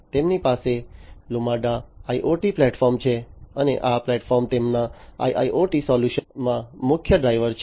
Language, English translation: Gujarati, So, they have the Lumada IoT platform and this platform basically is the key driver in their IIoT solution